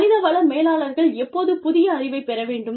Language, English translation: Tamil, When should human resource managers, gain a new knowledge